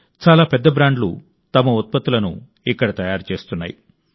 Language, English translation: Telugu, Many big brands are manufacturing their products here